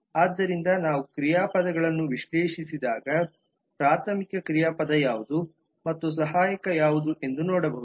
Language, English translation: Kannada, so when we analyze verbs we can actually see that what is a primary verb and what are the auxiliary one